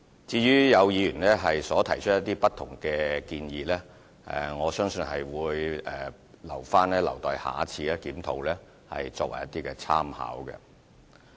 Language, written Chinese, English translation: Cantonese, 至於有議員提出不同的建議，我相信會留為以後檢討的參考。, As to different views raised by Members I believe they will be used as reference for the next review